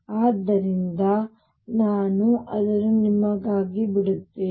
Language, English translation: Kannada, So, I will leave that for you